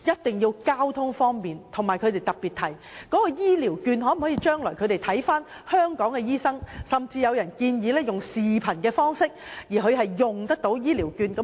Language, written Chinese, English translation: Cantonese, 此外，長者亦希望可在當地使用醫療券向香港的醫生求診，甚至有人建議使用視頻方式，讓他們得以使用醫療券。, Besides it is also the hope of elderly persons that they can use Elderly Health Care Vouchers in the Bay Area for seeking medical advice from doctors in Hong Kong and a proposal has even been put forward for allowing elderly persons to use their Elderly Health Care Vouchers through video calls